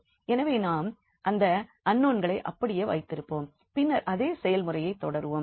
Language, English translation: Tamil, So, we will just keep those unknowns as it is and then proceed with the same process